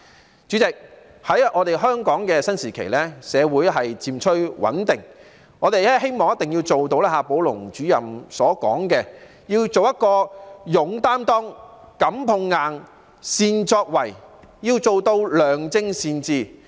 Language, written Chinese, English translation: Cantonese, 代理主席，在香港的新時期，社會漸趨穩定，我們希望做到夏寶龍主任所說的要求，即要做到"勇擔當、敢碰硬、善作為"，要做到良政善治。, Deputy President in Hong Kongs new era when society has gradually become stable we are eager to meet the requirements stated by Director XIA Baolong ie . willing to shoulder responsibilities unafraid of taking on tough challenges capable of making achievements and able to achieve good governance